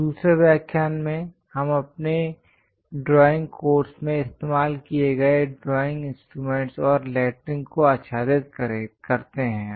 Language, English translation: Hindi, In the second lecture, we are covering drawing instruments and lettering used in our drawing course